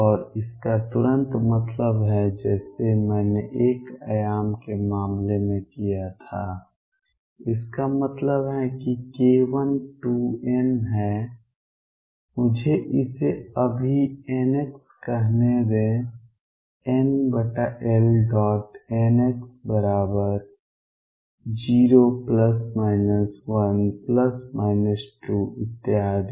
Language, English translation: Hindi, And this immediately implies just as I did in the case of 1 dimension, this implies that k 1 is 2 n let me call it now n x pi over L n x equal 0 plus minus 1 plus minus 2 and so on